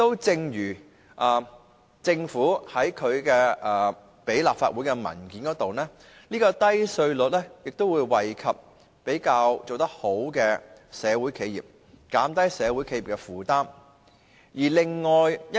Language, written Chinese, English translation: Cantonese, 正如政府向立法會提交的文件所指，低稅率會惠及做得比較好的社會企業，減低社會企業的負擔。, As indicated in papers submitted by the Government to the Legislative Council low tax rates will benefit successful social enterprises and reduce their tax burden